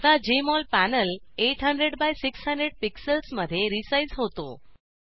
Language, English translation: Marathi, Now the Jmol panel is resized to 800 by 600 pixels